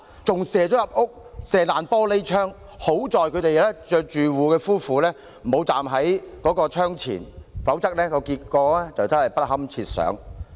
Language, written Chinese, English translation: Cantonese, 催淚彈打破玻璃窗，更射進屋內，幸好住戶夫婦沒有站在窗前，否則後果不堪設想。, The tear gas canister broke through the window and flew into the apartment . Fortunately the resident and his wife were not standing in front of the window at the time . Otherwise the consequence would be unthinkable